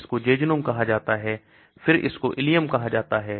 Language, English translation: Hindi, This is called the jejunum , then this is called the ileum